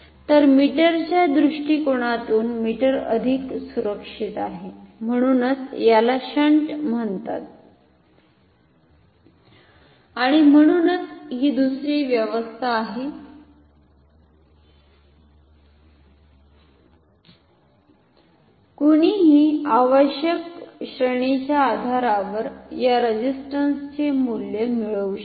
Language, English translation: Marathi, So, from the perspective of meter the meter is more safe so, this is called at an shunt and so, this is another arrangement one can have and one can compute the values of these resistances depending on the required ranges